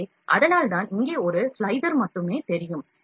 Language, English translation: Tamil, So, that is why only slicer one is visible here